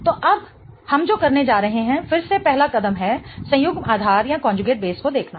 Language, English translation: Hindi, Okay, so now what we are going to do is again the first step is looking at the conjugate base